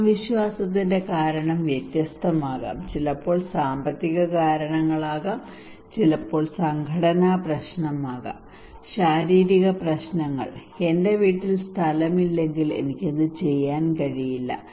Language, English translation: Malayalam, The kind of confidence the reason could be different it could be sometimes financial reasons it could be sometimes organizational problem, physical issues like if I do not have space in my house I cannot do it